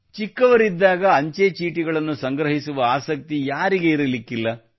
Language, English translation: Kannada, Who does not have the hobby of collecting postage stamps in childhood